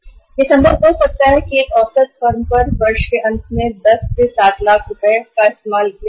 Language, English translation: Hindi, It may be possible that the end of the year on an average firm used 7 lakh rupees out of that 10 lakh rupees